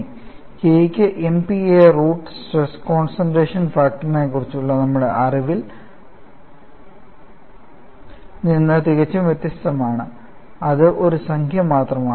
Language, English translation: Malayalam, aAnd I have already mentioned that K has a units of MPa root meter, which is quite different from our knowledge of stress concentration factor, which was just a number; in the case of stress intensity factor, you have a very funny unit where you get hurt